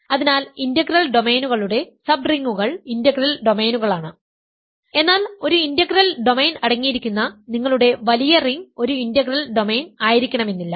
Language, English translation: Malayalam, So, subrings of integral domains are integral domains, but if your bigger ring containing an integral domain is not necessarily an integral domain